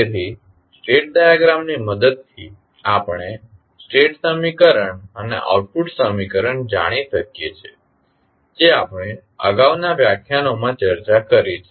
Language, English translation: Gujarati, So, with the help of state diagram, state equation and output equation we know we have discussed in the previous lectures